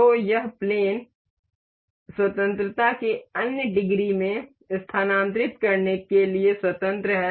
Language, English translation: Hindi, So, this plane is free to move in other degrees of freedom